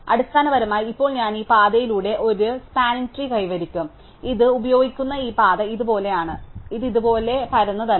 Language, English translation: Malayalam, So, basically now I will end up having a flat tree along this path, this path it use is look like this it not been flattened out like this